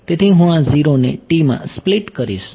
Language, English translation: Gujarati, So, I will split this 0 to t will become a